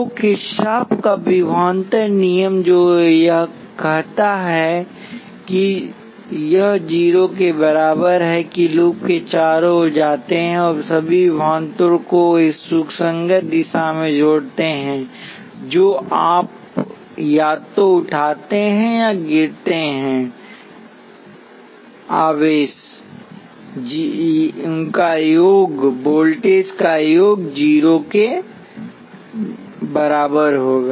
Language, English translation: Hindi, So what Kirchhoff’s voltage law says is that this is equal to 0 that is you go around the loop and sum all the voltages in a consistent direction you take either rise or fall the sum will be equal to 0